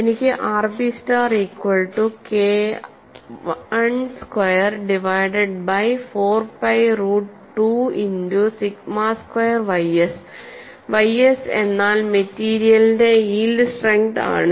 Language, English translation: Malayalam, So, I have r p star is given as K 1 square divide by 4 pi root 2 multiplied by sigma squared y s, where sigma y s is the yield strength of the material and I want you to write down this expression